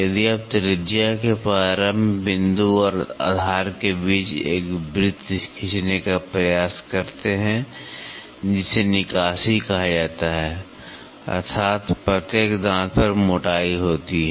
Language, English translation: Hindi, If, you try to draw a circle between the start point of the radius and the base that is called as clearance so that is, on every teeth has it is thickness